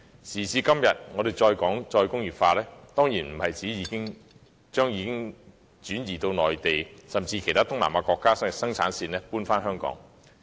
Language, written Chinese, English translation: Cantonese, 時至今日，我們談"再工業化"，當然不是指要把已轉移至內地，甚至其他東南亞國家的生產線搬回香港。, Nowadays when we talk about re - industrialization we certainly do not mean the relocation of our production lines which had moved to the Mainland or even some Southeast Asian countries back to Hong Kong